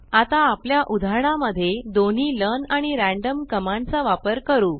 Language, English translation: Marathi, Let us now use both the learn and random commands in an example